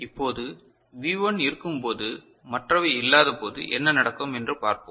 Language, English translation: Tamil, Now, let us look at what happens to the situation when V1 is present and others are not present ok